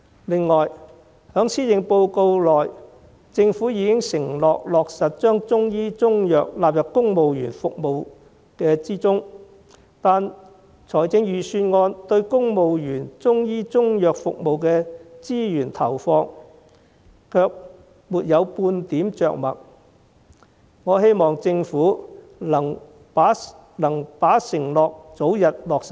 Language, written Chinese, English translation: Cantonese, 此外，在施政報告中政府已承諾落實將中醫中藥納入公務員服務之中，但預算案對公務員中醫中藥服務的資源投放卻沒有半點着墨，我希望政府能把承諾早日落實。, In addition in the Policy Address the Government has undertaken to introduce Chinese medicine as part of the civil service medical benefits but the Budget makes no mention of the allocation of resources for the provision of Chinese medicine service to civil servants . I hope that the Government can fulfil its undertaking as soon as possible